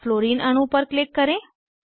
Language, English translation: Hindi, Click on one Fluorine atom